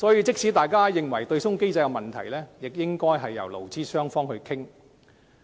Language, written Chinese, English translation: Cantonese, 即使大家認為對沖機制存在問題，亦應交由勞資雙方討論。, Even though it is a common belief that the offsetting mechanism is plagued with problems it should be left to discussion between employees and employers